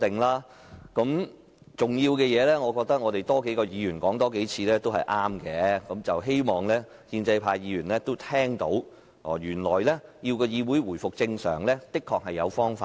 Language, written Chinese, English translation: Cantonese, 我覺得這事很重要，所以需要多位議員多說幾次，我也希望建制派議員聽到，原來要議會回復正常是有方法的。, I think this is very important and Members should highlight this point time and again . Furthermore I hope that pro - establishment Members would hear that there are indeed ways for this Council to resume normal operation